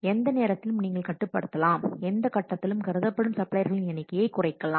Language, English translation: Tamil, At any time you can restrict, you can reduce the number of suppliers which are being considered any stage